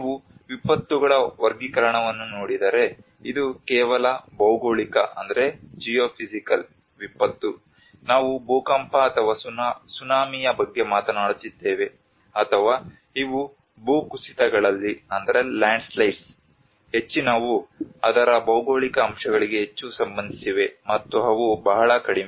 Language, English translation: Kannada, If you look at the classification of the disasters, It is just a geophysical disaster which we are talking about the earthquake or the tsunami or these are most of the landslides which are more related to the geophysical aspects of it, and they are very less